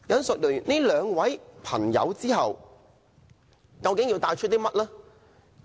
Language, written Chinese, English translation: Cantonese, 說畢這兩位人士後，我究竟要帶出甚麼信息？, After talking about these two persons what message am I trying to strike home?